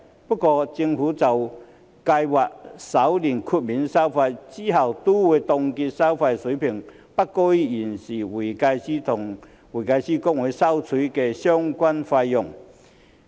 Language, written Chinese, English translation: Cantonese, 不過，政府就計劃首年豁免收費，之後亦都會凍結收費水平不高於現時會計師公會收取的相關費用。, However the Government plans to waive the fees for the first year and then freeze them at a level not higher than the fees currently charged by HKICPA